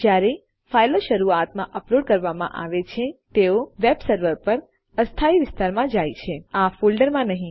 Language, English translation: Gujarati, When the files are uploaded initially they go into a temporary area on the web server and NOT into this folder